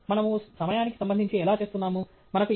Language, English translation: Telugu, Again, how are we doing with respect to time